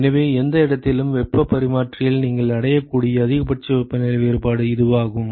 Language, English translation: Tamil, What is the maximum possibility of temperature difference in any heat exchanger, maximum possible